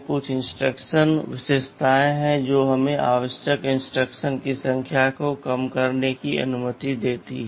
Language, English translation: Hindi, There are some instruction features we shall be talking about which that allows us to reduce the number of instructions required